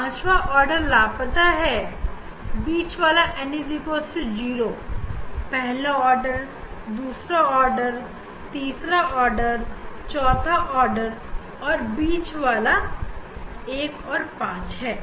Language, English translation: Hindi, fifth one is missing, central one n equal to 0 that is there, then first order, second order, third order, fourth the order 4 and central one is 1, 5